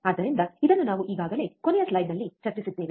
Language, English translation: Kannada, So, this we already discussed in last slide